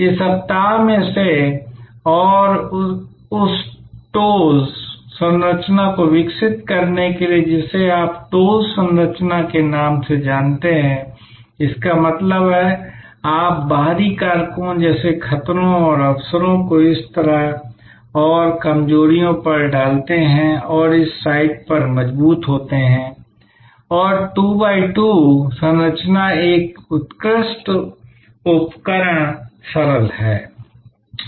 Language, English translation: Hindi, Out of this week and develop what is known as that TOWS matrix you know TOWS the TOWS matrix; that means, you put the external factors like threats and opportunities on this side and weaknesses and strengthen on this site and is 2 by 2 matrix is an excellent tool simple